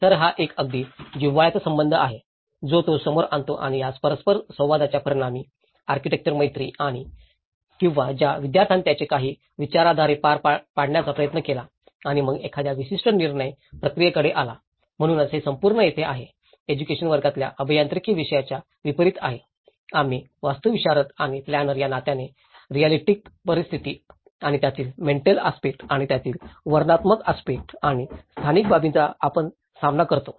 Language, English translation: Marathi, So, this is a very intimate relationship which he brings up and as a result of this interaction, the architectural friendship or the student he tried to test a few ideologies and then come to a particular decision making process, so that is where this whole education is unlike the engineering subject which happens in a classroom, we as an architects and the planners we deal with the real situations and the psychological aspects of it and the behavioural aspects of it and the financial aspects